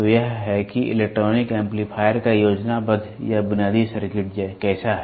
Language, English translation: Hindi, So, this is how the schematic or the basic circuit of the electronic amplifier is there